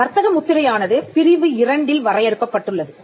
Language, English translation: Tamil, Trademark is defined in section 2